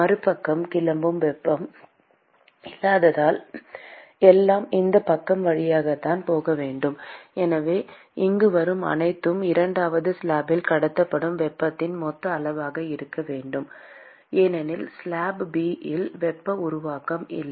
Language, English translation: Tamil, Because there is no heat that is leaving on the other side, everything has to leave through this side; and so, whatever comes here should be the total amount of heat that is transported in the second slab, because there is no heat generation in slab B